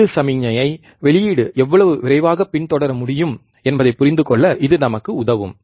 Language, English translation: Tamil, It can help us to understand, how fast the output can follow the input signal